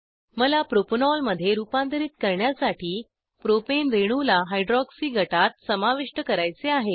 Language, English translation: Marathi, I want to add a hydroxy group to the Propane molecule, to convert it to Propanol